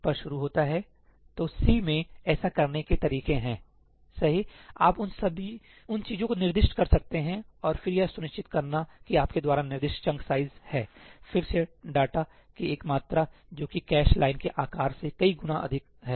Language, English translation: Hindi, So, there are ways of doing that in C , you can specify those things; and then ensuring that the chunk size that you have specified is, again, an amount of data which is multiple of the cache line size